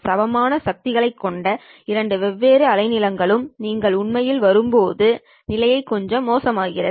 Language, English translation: Tamil, The situation becomes little worse when you actually come in with two different wavelengths having equal powers